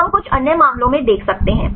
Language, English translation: Hindi, So, we can see in some other cases right